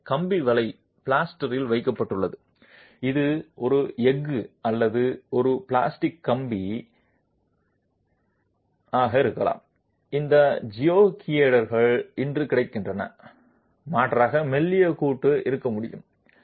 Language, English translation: Tamil, So, wire mesh is placed in the plaster and then this can be a steel or a plastic wire mesh with a lot of these geogrids available today it is possible to have a rather thin joint